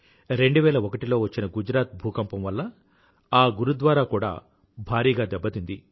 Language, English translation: Telugu, This Gurudwara suffered severe damage due to the devastating earth quake of 2001 in Gujarat